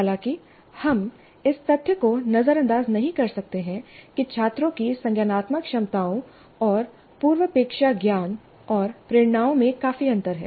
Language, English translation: Hindi, However, we cannot ignore the fact that the students have considerable differences in their cognitive abilities and prerequisite knowledge and motivations